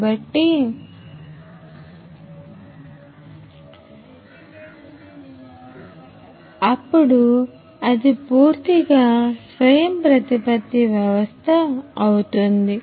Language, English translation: Telugu, So, that will be a fully autonomous system